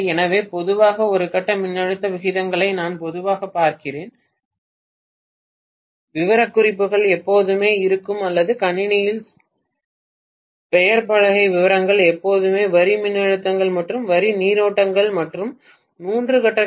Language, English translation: Tamil, so we generally look at the per phase voltage ratios normally, we never look at the line voltages all though specifications will always or nameplate details on the machine will always give the line voltages and line currents and three phase Kva rating